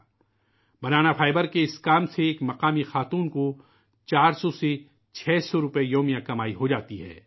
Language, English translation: Urdu, Through this work of Banana fibre, a woman from the area earns four to six hundred rupees per day